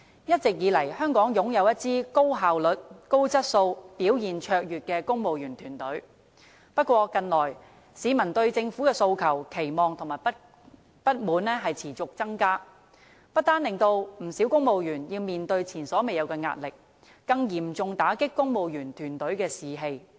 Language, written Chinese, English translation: Cantonese, 一直以來，香港擁有一支高效率、高質素及表現卓越的公務員團隊，不過，近來市民對政府的訴求、期望和不滿持續增加，不單令不少公務員要面對前所未有的壓力，更嚴重打擊公務員團隊的士氣。, The civil service in Hong Kong has all along been a highly efficient and outstanding team with excellent performance . However with peoples demand expectation and discontent towards the Government rising persistently many civil servants are facing an unprecedented amount of pressure over and above that have their morale seriously dampened